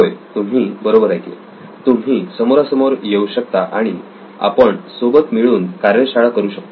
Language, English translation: Marathi, Yes, you heard me right you can actually come face to face we can have a workshop together